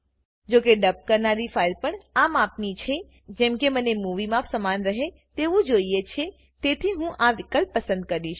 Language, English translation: Gujarati, As the file to be dubbed is also of this dimension and as I want the dubbed movie to have the same dimensions, I will choose this option